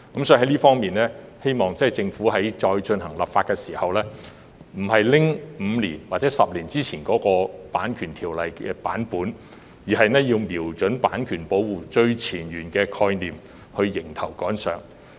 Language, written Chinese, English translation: Cantonese, 就此，我們希望政府再次修例時，不會沿用5年或10年前的《版權條例》建議修訂版本，而是應瞄準版權保護最前沿的概念，迎頭趕上。, In this regard we hope that the Government will not merely adopt the amendments proposed 5 or 10 years ago in its next Copyright Ordinance amendment exercise but will catch up with the latest development by pinpointing on the most up - to - date ideas about copyright protection